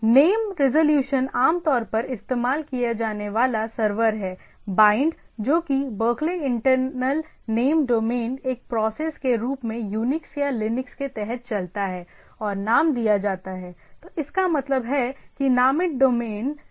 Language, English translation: Hindi, Name resolution the commonly used server is BIND that is Berkeley Internal Name Domain runs under UNIX or Linux as a process and called named, so that means, named is the demon which is the DNS demon